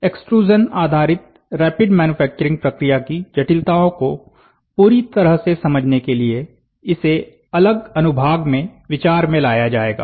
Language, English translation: Hindi, There these will be considered in separate sections to fully understand the intricacies of extrusion based rapid manufacturing process